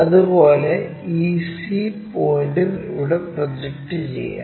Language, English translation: Malayalam, Now, we can project this c point and a point